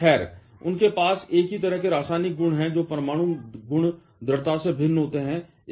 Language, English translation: Hindi, Well, they have the same kind of chemical properties, their nuclear properties strongly vary